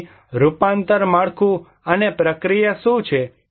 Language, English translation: Gujarati, So, what are the transformation structure and process